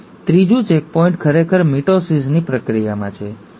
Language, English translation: Gujarati, The third checkpoint is actually in the process of mitosis